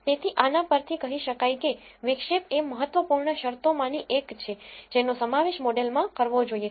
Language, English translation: Gujarati, So, this tells you that intercept is one of the important terms that have to be included in the model